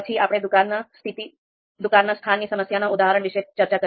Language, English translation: Gujarati, So we discussed this shop location problem